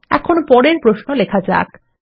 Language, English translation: Bengali, Now, onto our next query